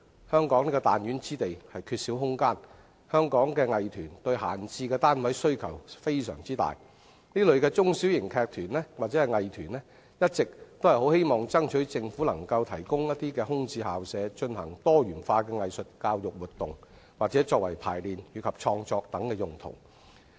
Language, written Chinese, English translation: Cantonese, 香港是彈丸之地，缺少空間，香港藝團對閒置單位需求非常大，中小型劇團或藝團一直希望爭取政府能提供空置校舍，進行多元化的藝術教育活動或作為排練與創作等用途。, While Hong Kong is a small place and in lack of space Hong Kong arts troupes have a huge demand for vacant premises . Small and medium - sized theatre companies or arts troupes have been urging the Government to provide them with vacant school premises for conducting diversified arts education activities or for rehearsal purpose and creative work